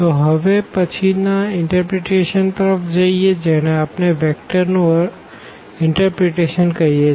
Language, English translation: Gujarati, So, now coming to the next interpretation which we call the vectors interpretation